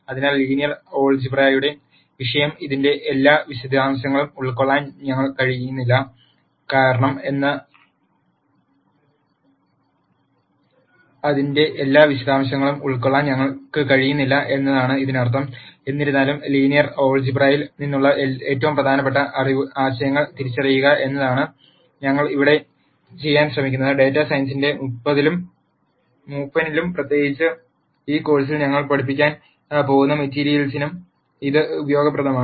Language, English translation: Malayalam, So, that necessarily means that we cannot cover the topic of linear algebra in all its detail; however, what we have attempted to do here is to identify the most im portant concepts from linear algebra, that are useful in the eld of data science and in particular for the material that we are going to teach in this course